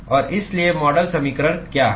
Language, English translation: Hindi, And so the what is the model equation